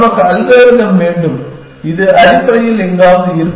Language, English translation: Tamil, We want algorithms, which will be somewhere in between essentially